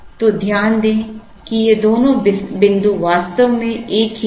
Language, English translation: Hindi, So, note that these two points are actually the same